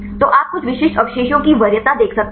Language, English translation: Hindi, So, you can see the preference of some specific residues